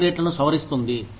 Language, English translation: Telugu, Revises the pay rates